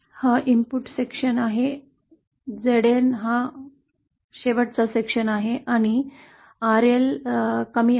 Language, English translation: Marathi, This is the input section Zn is the last section & Rn is the low